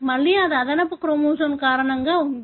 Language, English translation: Telugu, Again it is because of the extra chromosome